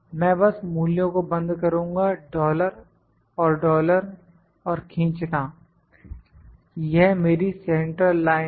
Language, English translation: Hindi, I will just lock the values dollar and dollar and drag it is my central line